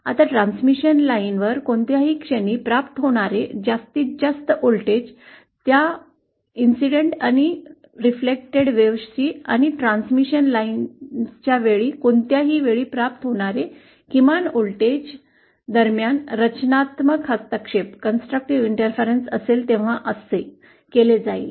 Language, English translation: Marathi, Now the maximum voltage that is achieved at any point on the transmission line will be that, will be given like this when there is constructive interference between the incident and reflected waves and the minimum voltage that will be achieved at any point along the transmission line will be this